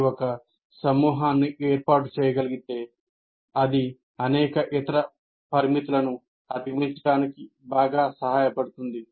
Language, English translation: Telugu, If you can form a group that will greatly help overcome many of the other limitations